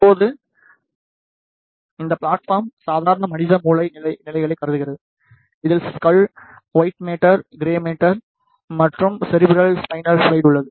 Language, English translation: Tamil, Now, this plate form considers the normal human brain conditions, which contains the skull white metal, grey metal, and cerebral spinal fluid